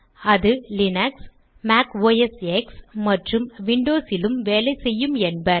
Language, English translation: Tamil, It is supposed to work on Linux, Mac OS X and also on Windows